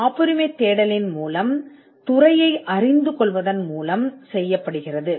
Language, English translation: Tamil, This is done by understanding the field through the patentability search